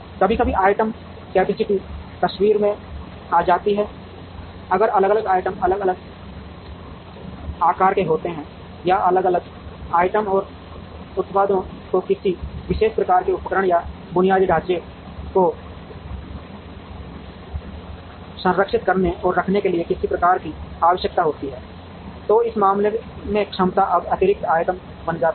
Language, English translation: Hindi, Sometimes the item capacities come into the picture, if different items are of different sizes or if different items and products require some kind of a specialized either equipment or infrastructure to be preserved and kept, in which case the capacity will now become item specific in addition to the capacity in the place